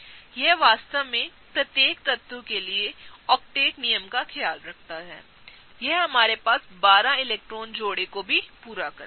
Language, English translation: Hindi, This really takes care of the octet rule for each element; this also fulfills our 12 electron pairs